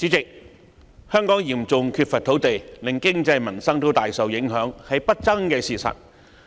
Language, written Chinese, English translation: Cantonese, 主席，香港嚴重缺乏土地，令經濟民生大受影響，是不爭的事實。, President it is an indisputable fact that Hong Kongs serious land shortage has significantly affected its economic development and peoples livelihood